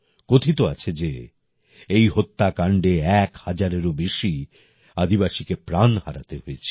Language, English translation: Bengali, It is said that more than a thousand tribals lost their lives in this massacre